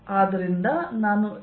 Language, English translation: Kannada, notice that this is e